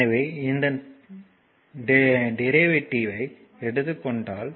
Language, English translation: Tamil, So, if you take the derivative of this one